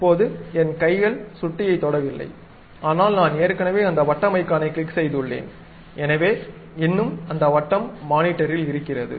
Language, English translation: Tamil, Right now my hands are not touching mouse, but I have already clicked that circle icon, so still it is maintaining on that monitor